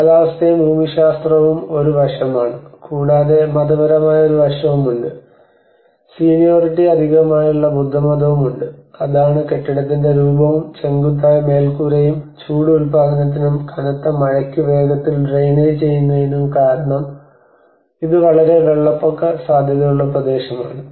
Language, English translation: Malayalam, And that is the climate, and the geography is one aspect, and also there is religious aspect there is a seniority plus Buddhism which frames the form of the building and a steep roof and a long use for heat production and fast drainage for heavy rain because it has been a very flood prone areas